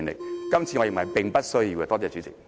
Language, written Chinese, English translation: Cantonese, 我認為今次是並不需要的。, In my opinion it is unnecessary to exercise the power in this incident